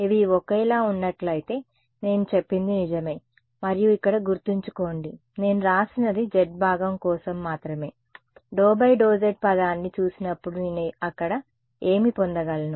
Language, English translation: Telugu, If all of these guys were the same then I am right and remember what I have written here is only for the z component when I look at the d by d x term what will I get over there